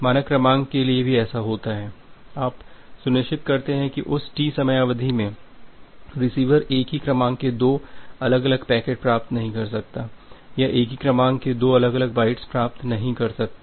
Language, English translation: Hindi, Say it happens that well the sequence so, you are always ensuring that within that time duration T, the receiver cannot receive a packet cannot receives a two different packets with the same sequence number or two different bytes with the same sequence number